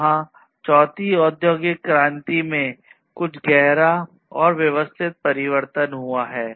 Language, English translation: Hindi, So, there has been some profound and systematic change in the fourth industrial revolution